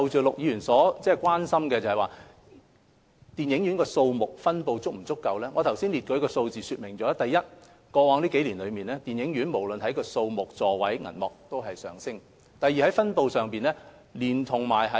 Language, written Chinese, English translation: Cantonese, 陸議員關注電影院數目及分布是否足夠，我剛才列舉的數字已經說明，第一，過去數年，電影院的數目、座位及銀幕數字均有上升。, Mr LUK is concerned about whether the number and distribution of cinemas are adequate . The numbers I have just cited well illustrate two points . First in the past few years the numbers of cinemas seats and screens have increased